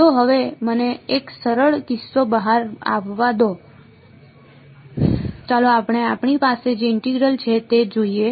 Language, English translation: Gujarati, So, all right now let me have the simple case out of the way let us let us look at our the integral that we have